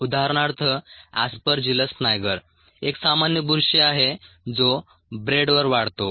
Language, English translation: Marathi, for example, aspergillus niger is a common mold that grows on bread